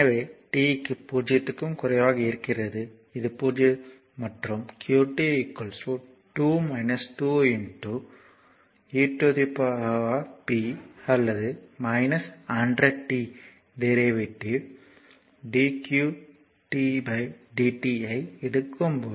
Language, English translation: Tamil, So, for t less than 0; so, this is 0 and when qt is equal to 2 minus 2 into e to the power minus 100 t you take the derivative dqt by dt